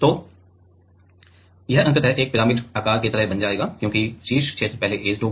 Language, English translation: Hindi, So, it will ultimately become like a pyramid shape, because the top region will get first etched